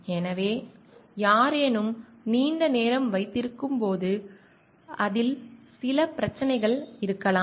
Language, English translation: Tamil, So, somebody when holds it is for long may be having certain problems with it